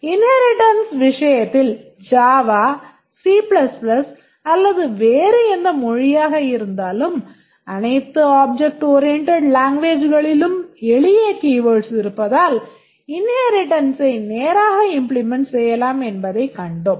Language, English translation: Tamil, In case of inheritance, we saw that there are simple keywords in all object oriented languages, whether it is Java, C++ or in any other language, the inheritance relationship is straightforward to implement